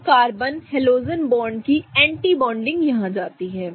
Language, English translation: Hindi, So, the anti bonding of the carbon halogen bond goes here